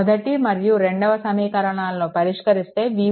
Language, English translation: Telugu, So, solving equation 1 and 2, you will get v 1 is equal to 10